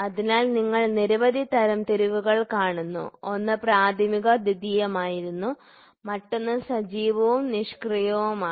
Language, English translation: Malayalam, So, you see several classifications; one it was primary secondary, the other one is active and passive